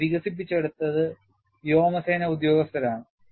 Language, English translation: Malayalam, And this is developed by Air force personnel